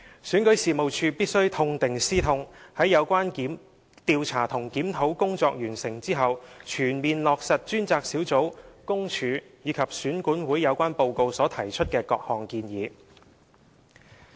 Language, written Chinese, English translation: Cantonese, 選舉事務處必須痛定思痛，在有關調查和檢討工作完成後，全面落實專責小組、公署和選管會的有關報告所提出的各項建議。, REO must learn from pain fully implement the suggestions to be made by the Task Force PCPD and REO in the relevant reports after the completion of the investigations and reviews concerned